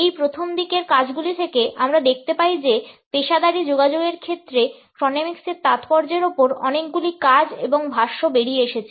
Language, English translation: Bengali, Since these early works, we find that a number of works and commentaries have come out on the significance of chronemics in the field of professional communication